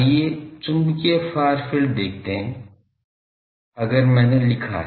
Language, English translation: Hindi, Let us see the magnetic far field if I have written